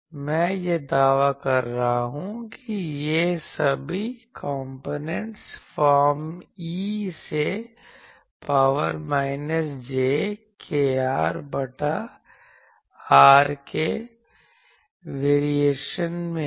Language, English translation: Hindi, I am claiming that all these components there are variation is of the form e to the power minus jkr by r